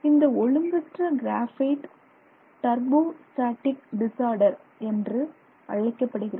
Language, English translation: Tamil, So, that form of disorder is called turbostratic disorder